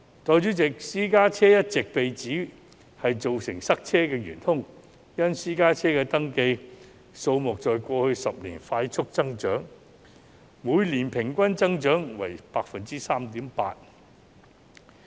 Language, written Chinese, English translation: Cantonese, 代理主席，私家車一直被指是造成塞車的元兇，因為私家車的登記數目在過去10年快速增長，每年平均增長率為 3.8%。, Deputy President private cars have always been accused of being the culprit of traffic congestion due to its rapid growth rate of 3.8 % annually in the past decade